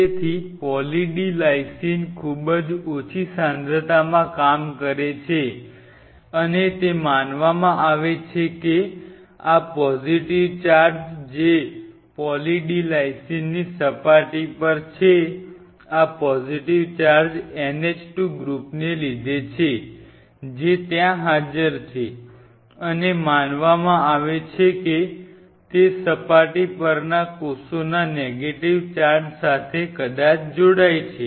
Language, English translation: Gujarati, So, with Poly D Lysine a very low concentration does work and the way it works it is believed to be these positive charges which are on the surface of Poly D Lysine these positively positive charge is from NH 2 groups which are present there interact with the surface negative charge of the cell possibly this is what is believed